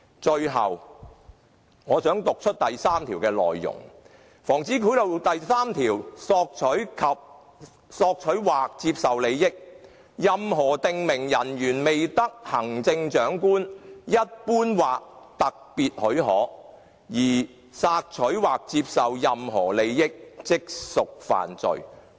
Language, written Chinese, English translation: Cantonese, 最後，我想讀出《防止賄賂條例》第3條的內容："索取或接受利益——任何訂明人員未得行政長官一般或特別許可而索取或接受任何利益，即屬犯罪"。, Lastly I wish to read out section 3 of the Prevention of Bribery Ordinance Soliciting or accepting an advantage―Any prescribed officer who without the general or special permission of the Chief Executive solicits or accepts any advantage shall be guilty of an offence